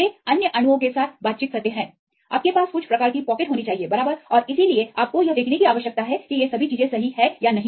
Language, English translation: Hindi, They tend to interact with the other molecules you should have some type of pocket and so on right, you need to see whether all these things are correct or not